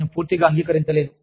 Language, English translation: Telugu, I completely, disagree